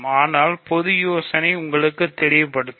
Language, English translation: Tamil, But one idea will make it clear to you